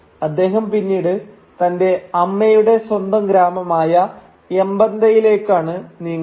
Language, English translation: Malayalam, And he then moves to the home village of his mother which is Mbanta